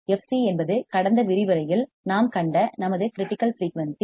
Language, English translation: Tamil, F c is our critical frequency we have seen in the last lecture